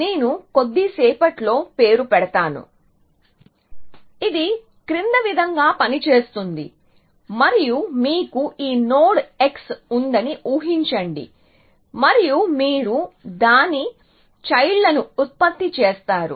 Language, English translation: Telugu, They devise the salary sum which I will name in a little while, but it work has follows that imagine that you have this node x and you generate its children; let us only look at the forward children